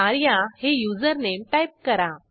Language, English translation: Marathi, Type the username as arya